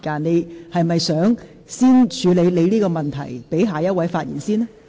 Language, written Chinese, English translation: Cantonese, 你是否想先處理你的問題，讓下一位議員先發言？, Do you wish to deal with your question and let the next Member speak first?